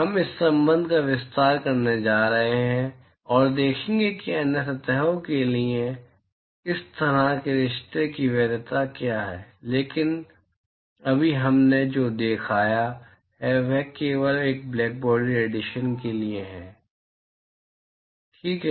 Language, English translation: Hindi, We are going to extend this relationship and see what is the validity of such a relationship for other surfaces, but right now what we have shown is only for that of a blackbody radiation all right